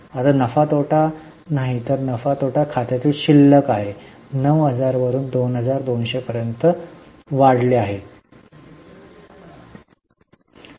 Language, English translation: Marathi, This is a balance of P&L account which has increased from 9,000 to 22,000